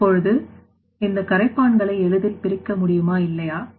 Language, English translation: Tamil, Now, these solvents whether it should be easily separated or not